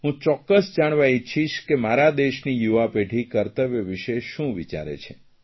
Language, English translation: Gujarati, I would like to know what my young generation thinks about their duties